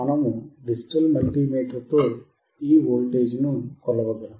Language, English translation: Telugu, We can measure voltage with your digital multimeter